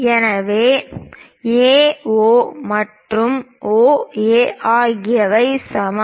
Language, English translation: Tamil, So, AO and OB are equal